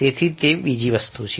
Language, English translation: Gujarati, so that's another thing